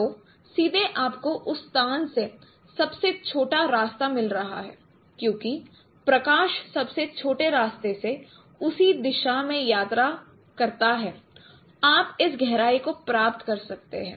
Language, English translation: Hindi, So directly you are getting the shortest path from that location since light travels through the shortest path in that direction itself you can get this depth